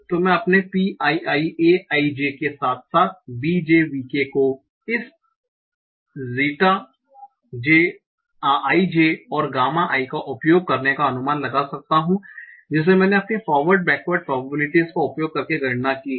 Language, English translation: Hindi, So I could estimate my Pi I J, as well as BJVK, using this G T IJ and gamma I, which I completed using my forward backward probability